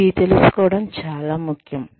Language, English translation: Telugu, Very important to know this